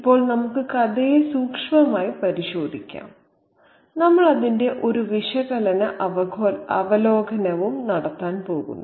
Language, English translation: Malayalam, Now let's take a closer look at the story and we also are going to do an analytic review of it